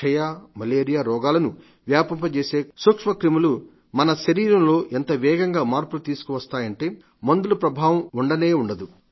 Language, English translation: Telugu, Microbes spreading TB and malaria are bringing about rapid mutations in themselves, rendering medicines ineffective